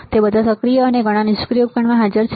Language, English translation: Gujarati, It is present in all active and passive components